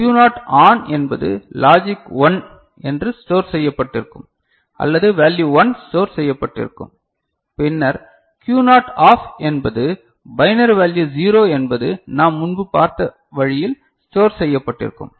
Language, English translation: Tamil, And if Q naught ON was logic 1 stored or value 1 stored, binary value 1 stored, then Q naught OFF is binary value 0 stored the way we have seen before